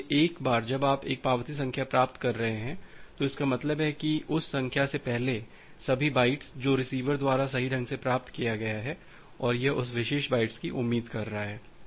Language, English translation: Hindi, So, once you are getting an acknowledgement number, it means that all the bytes before that number immediately before that number, that has been received correctly by the receiver and it is expecting that particular bytes